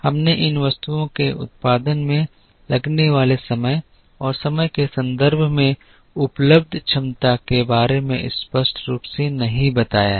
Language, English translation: Hindi, We have not explicitly modeled the time taken to produce these items and the capacity that is available in terms of time